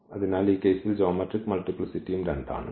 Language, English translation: Malayalam, So, the geometric multiplicity is also 2 in this case